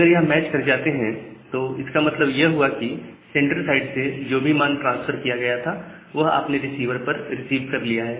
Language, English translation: Hindi, If they are getting matched, that means, whatever value has been transferred from the sender side, you have received that for a particular value